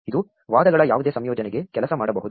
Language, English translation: Kannada, This can work for any combination of arguments